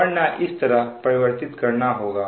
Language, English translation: Hindi, otherwise this way you have to convert